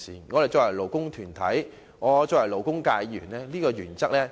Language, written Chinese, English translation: Cantonese, 我是勞工團體的一員，是勞工界議員，當然明白這個原則。, As a member of a labour group and a Member from the labour sector I certainly understand this principle